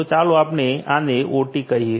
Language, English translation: Gujarati, So, this is let us say OT